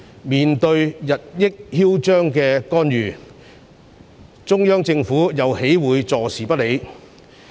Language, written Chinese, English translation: Cantonese, 面對日益囂張的干預，中央政府又豈會坐視不理？, How would the Central Government possibly turn a blind eye to the increasing aggressive interference?